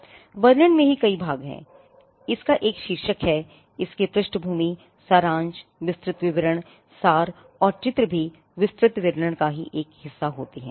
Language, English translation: Hindi, Now, the description itself has many parts; it has a title, it has a background, summary, detailed description, abstract and drawings also become a part of the detailed description